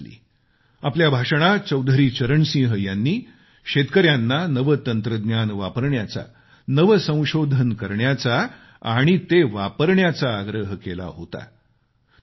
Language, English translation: Marathi, Chaudhari Charan Singh in his speech in 1979 had urged our farmers to use new technology and to adopt new innovations and underlined their vital significance